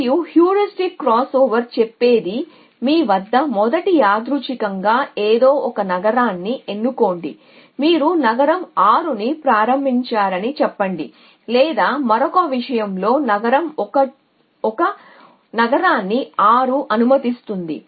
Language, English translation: Telugu, And what the heuristic crossover says is at you first random a choose some city so let us say you started city 6 or city 1 lets a city 6 in another matter